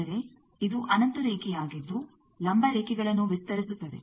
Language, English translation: Kannada, That means, this is an infinite line extend vertical lines